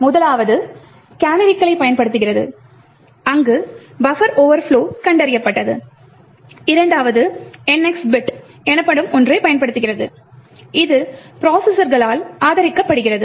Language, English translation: Tamil, The first was using canaries where buffer overflows were detected, the second is using something known as the NX bit which is supported by the processors